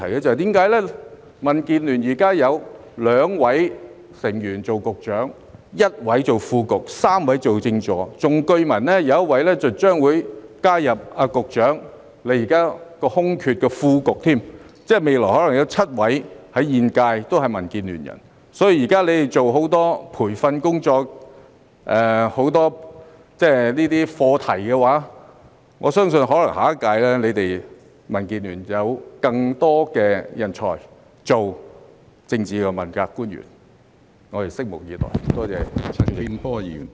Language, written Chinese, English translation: Cantonese, 因為民建聯現時有2位成員擔任局長、1位擔任副局長、3位當政治助理，更據聞將有1位加入局長的政策局填補副局長的空缺，即現屆政府未來可能有7位問責官員來自民建聯，所以他們現正進行大量培訓工作、探討很多相關課題，我相信下一屆可能會有更多來自民建聯的人才當政治問責官員，我們拭目以待。, It is because currently two members of DAB are Directors of Bureaux one is a Deputy Director of Bureau and three are Political Assistants and it is even rumoured that one member would join the Secretarys Bureau to fill the vacancy of Under Secretary which means that the current Government might have seven accountability officials from DAB in the future . That is why they are now doing a lot of training activities and exploring many relevant issues . I believe that more talents from DAB may become politically accountable officials in the next term so let us wait and see